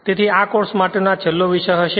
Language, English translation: Gujarati, So, next this will be the last topic for this course